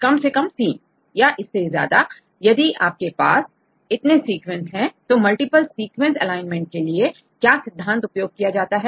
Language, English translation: Hindi, More than 2 minimum we need 3 right 3 or more sequences if you have right what is the principle used in multiple sequence alignment, how they do the alignment